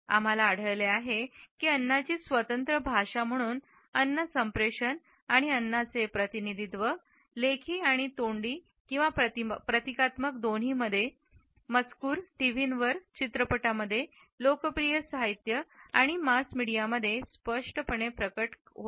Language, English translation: Marathi, These aspects also clearly emerge in food communication and representation of food, both in written and iconic text, on TV, in movies, in popular literature and mass media